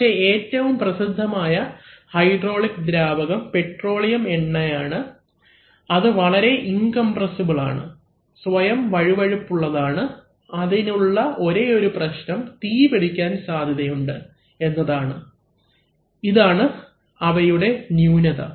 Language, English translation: Malayalam, But the most popular hydraulic fluid is petroleum oil, which is, which is very incompressible, it has a self lubricating property, the only problem it has, it has, is that it tends to be somewhat hazardous for fire right, so that is a drawback